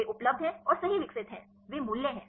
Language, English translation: Hindi, They are available and developed right, those values are there